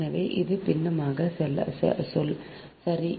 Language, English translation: Tamil, this is the fractional term, right